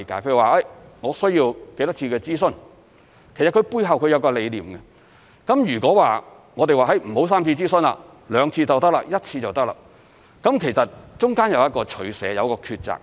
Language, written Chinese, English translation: Cantonese, 譬如說，需要多少次諮詢，其實背後有其理念，如果說不要3次諮詢 ，2 次或1次就可以，那其實中間有一個取捨、有一個抉擇。, For example there should be some rationales behind the number of consultations to be conducted . If we decided to reduce the number of consultations from three to one or two there are bound to be trade - offs and choices